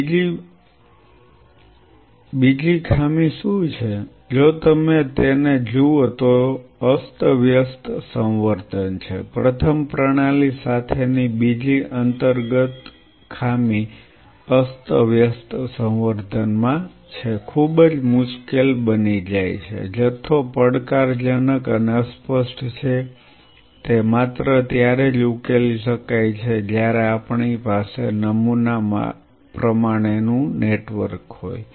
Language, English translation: Gujarati, Second what is the second drawback if you look at it is a random culture first second inherent drawback with the system is in a random culture quantification becomes very difficult, quantification is challenging and ambiguous, that can only be resolved if we have a pattern network